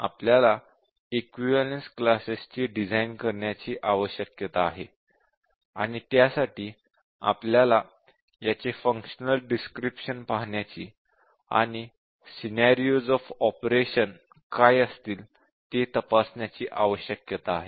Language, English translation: Marathi, So we need to design equivalence classes, we need to look at the functional description of this and check what are the scenarios of operation